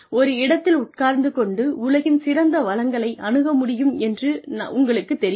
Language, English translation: Tamil, You know, sitting in a place, where I have access to, the best resources in the world